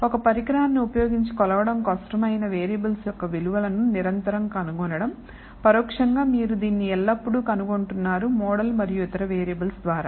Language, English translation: Telugu, To continuously infer values of variables which are difficult to measure using an instrument, indirectly you are always inferring it through this model and other variables